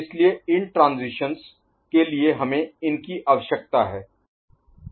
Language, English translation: Hindi, So, for these particular transitions, we require these ok